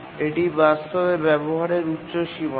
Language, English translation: Bengali, This is the upper bound of utilization actually